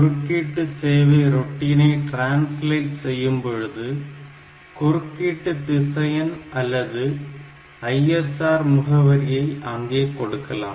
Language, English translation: Tamil, So, that this interrupt service routine when it translated; so, it is put into the exact interrupt vector or the ISR address whatever is required for that